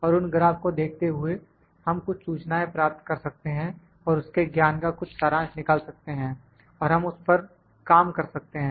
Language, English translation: Hindi, And while viewing those graphs, we can have some information and we can abstract some knowledge of that, and we then, we can work on that